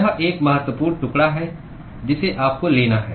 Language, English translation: Hindi, This is an important piece that you have to take